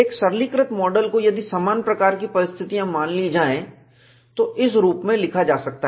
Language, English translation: Hindi, A simplistic model, if similitude conditions are assumed, can be written as in this form